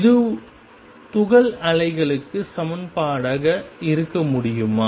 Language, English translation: Tamil, Can this be equation for the particle waves